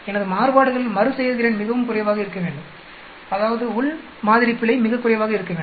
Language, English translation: Tamil, My variations repeatability should be very less, that means within sample error should be very less